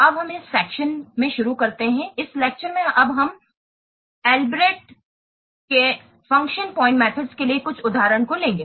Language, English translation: Hindi, Now let's start in this section, in this lecture we will take up some of the examples for this Albreast function point methods